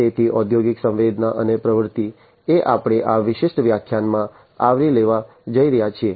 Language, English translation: Gujarati, So, industrial sensing and actuation is what we are going to cover in this particular lecture